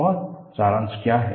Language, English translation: Hindi, And, what is the summary